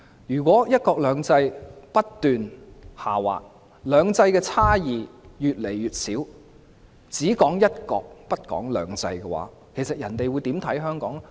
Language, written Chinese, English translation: Cantonese, 如果"一國兩制"不斷下滑，"兩制"的差異越來越少，只談"一國"不談"兩制"，人家會如何看待香港呢？, If one country two systems continuous to go downward and the differences of two systems become increasingly insignificant with one country overshadowing two systems how will other countries perceive Hong Kong?